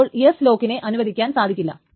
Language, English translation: Malayalam, So S lock cannot be allowed as well